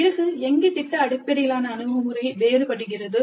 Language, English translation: Tamil, Then where does project based approach differ